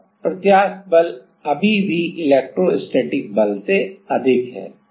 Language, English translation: Hindi, Then the elastic force is still higher than the electrostatic force